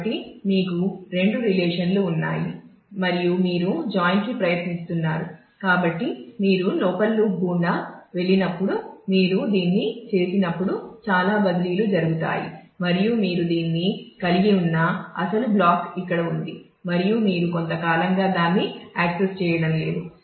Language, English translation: Telugu, So, when you do this when you are going through the inner loop, there will be lot of transfers that will happen; and the original block where you have been holding this is here and you are not accessing that for quite some time